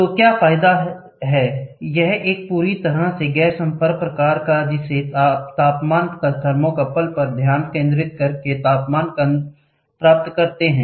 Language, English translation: Hindi, So, what is the advantage: it is a totally non contact type you can measure the temperature by focusing it on the thermocouple, you get the temperature